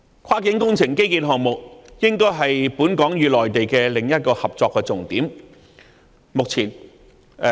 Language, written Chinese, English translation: Cantonese, 跨境工程建基項目應該是本港與內地的另一個合作重點。, Cross - boundary infrastructure projects should be another key area of collaboration between Hong Kong and the Mainland